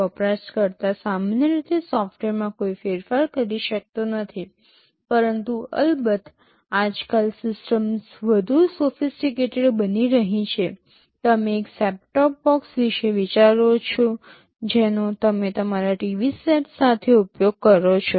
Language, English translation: Gujarati, The user normally cannot make any modifications to the software, but of course, nowadays systems are becoming more sophisticated; you think of a set top box that you use with your TV sets